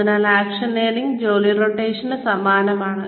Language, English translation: Malayalam, So, action learning is similar to job rotation